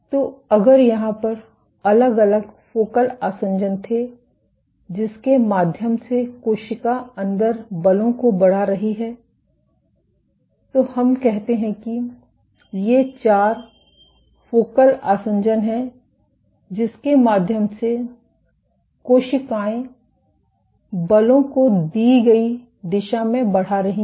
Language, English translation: Hindi, So, if there were individual focal adhesions through which the cell is exerting forces inside if let us say these are four focal adhesion through which cells are exerting forces in the given direction